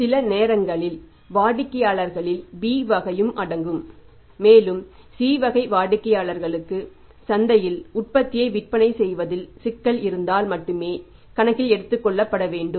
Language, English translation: Tamil, And sometimes include the B category of the customers also and C category of the customers are only to be taken into account if there is a problem of selling the product in the market